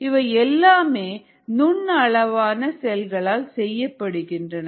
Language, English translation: Tamil, all these are made by these microscopic cells